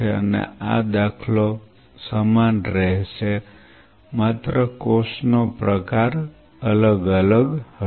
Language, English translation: Gujarati, And this paradigm will remain the same only the cell type will vary